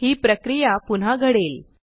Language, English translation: Marathi, This process is repeated